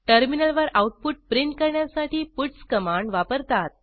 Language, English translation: Marathi, puts command is used to print the output on the terminal